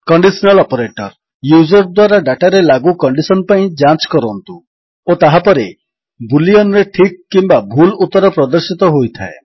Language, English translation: Odia, Conditional Operators, check for the condition applied on the data by the user and then show results in boolean TRUE or FALSE